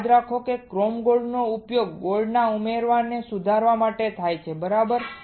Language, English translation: Gujarati, Remember chrome is used to improve the addition of gold right